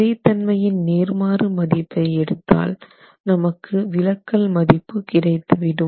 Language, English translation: Tamil, Now we take the inverse of the stiffness and that gives us the deflections